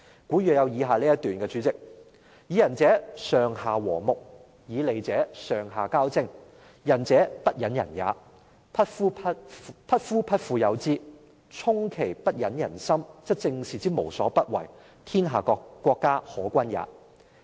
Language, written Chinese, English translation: Cantonese, 代理主席，古語有云："以仁者，上下和睦，以利者，上下交征，仁者不忍人也，匹夫匹婦有之，充其不忍人心，則政事之無所不為，天下國家可均也。, Deputy President as an old Chinese prose says If the ruler is benevolent superiors and inferiors will live in harmony . If the ruler is profit - oriented superiors and inferiors will struggle against each other for profit . When the benevolent ruler is one who cannot stand to see the suffering of others men and women in society will follow suit